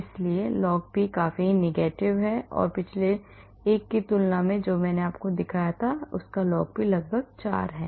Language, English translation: Hindi, so log p is quite negative and compared to the previous one which I showed you where log p is almost 4